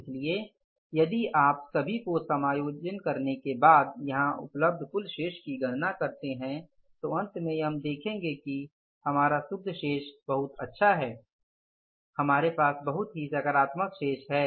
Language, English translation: Hindi, So if you calculate the total balance available here after adjusting for everything, then finally we will be able to find out that our net balance is going to be very good, very positive balance we have with us